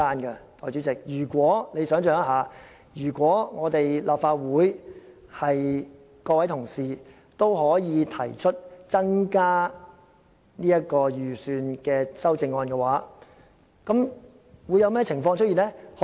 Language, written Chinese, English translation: Cantonese, 代理主席，如果立法會議員可以提出增加預算的修正案，會出現甚麼情況呢？, Deputy Chairman if Legislative Council Members can move amendments asking to increase the estimates what will happen?